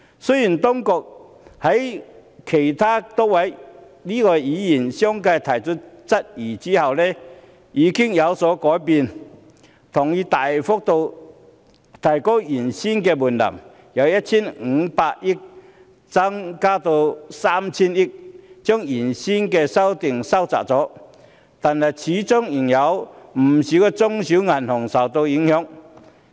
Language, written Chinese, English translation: Cantonese, 雖然當局在多位議員相繼提出質疑後已經有所改變，同意大幅度提高原本的門檻，由 1,500 億元增至 3,000 億元，把原本的規定收窄了，但始終仍有不少中小型銀行會受影響。, It is a wrong and somewhat bizarre concept . Although the authorities have changed their mind subsequent to queries raised by Members and agreed to substantially increase the threshold from 150 billion to 300 billion to narrow down the scope of regulation many small and medium banks will still be affected